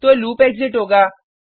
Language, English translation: Hindi, So the loop will exit